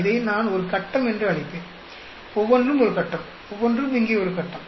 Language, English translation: Tamil, I will call this a box; each one is a box; each one is a box here